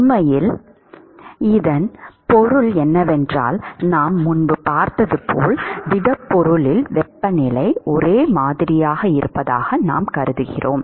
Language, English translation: Tamil, What it really means is as we have seen before is we assume that the temperature is uniform in the solid